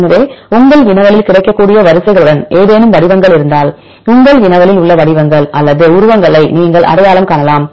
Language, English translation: Tamil, So, if you there are any patterns in your query with the available sequences, that you can identify the patterns or the motifs in your query